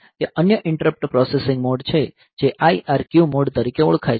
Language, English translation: Gujarati, So, and there is another interrupt processing mode which is known as IRQ mode where the processing